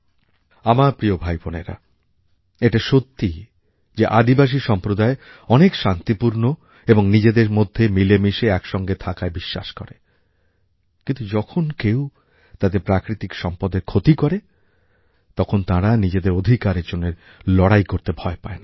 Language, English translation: Bengali, My dear brothers and sisters, this is a fact that the tribal community believes in very peaceful and harmonious coexistence but, if somebody tries to harm and cause damage to their natural resources, they do not shy away from fighting for their rights